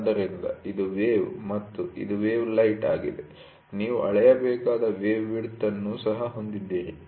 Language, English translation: Kannada, So, this is the wave and this is the wave height and you also have wave width to be measured